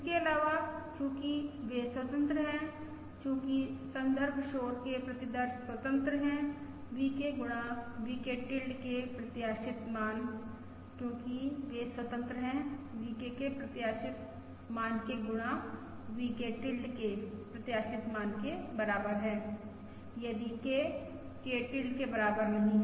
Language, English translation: Hindi, Further, since they are independent, since the reference noise samples are independent, expected value of VK times VK tilde, since they are independent, equals expected value of VK times your expected value of VK tilde, if K nought equals K tilda